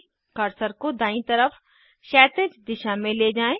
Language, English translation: Hindi, Move the cursor horizontally towards right